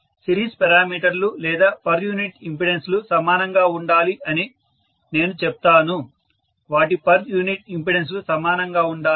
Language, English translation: Telugu, So, please include that as well that the series parameters or I would say per unit impedances are equal, their per unit impedances should be equal